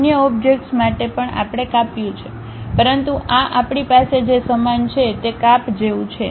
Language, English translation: Gujarati, For other object also we have cut, but this is more like a uniform cut what we are having